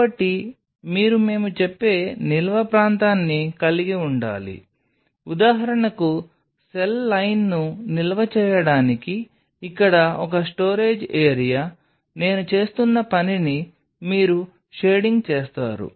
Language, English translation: Telugu, So, you have to have a storage area of our say for example, a storage area out here for storing the cell line this you will be shading what I am doing